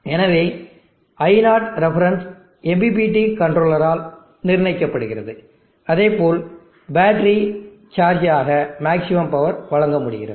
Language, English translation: Tamil, So let the reference I0 reference be set by MPPT controller such that maximum power can be deliver to the battery for charging